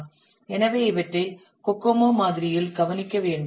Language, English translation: Tamil, So these have to be addressed in the COCO model